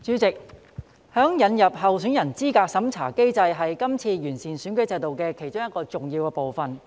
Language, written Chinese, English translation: Cantonese, 代理主席，引入候選人資格審查機制是今次完善選舉制度的其中一個重要部分。, Deputy Chairman the introduction of a candidate eligibility review mechanism is an important component of the improvement of the electoral system this time around